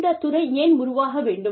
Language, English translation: Tamil, Why does the field, need to evolve